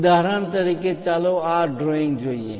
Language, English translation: Gujarati, For example, let us look at this drawing